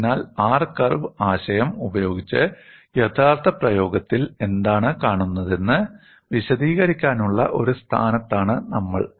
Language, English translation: Malayalam, So, with the R curve concept, we are in a position to explain what is observed in actual practice